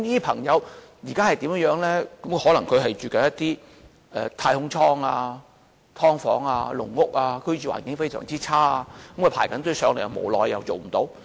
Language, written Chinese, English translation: Cantonese, 他們可能住在一些"太空艙"、"劏房"、"籠屋"，居住環境非常差，正在輪候公屋，無奈卻輪候不到。, They may be living in space - capsule bedspaces subdivided units and cage homes where living conditions are very poor . All these people have been waiting in vain for PRH allocation